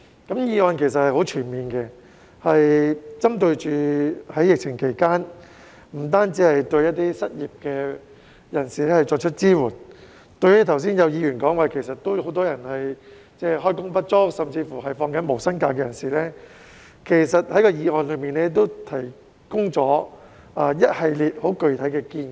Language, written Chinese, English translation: Cantonese, 這項議案其實很全面，不單針對在疫情期間失業的人士，為他們提供支援，正如有議員剛才提到，有很多人開工不足甚至正在放取無薪假，這項議案為他們提出了一系列十分具體的建議。, This motion is in fact very comprehensive targeting not only those who are unemployed during the pandemic but also people who are as indicated by some Members just now underemployed or are even taking unpaid leave and providing them with assistance . This motion has proposed a series of very specific proposals for them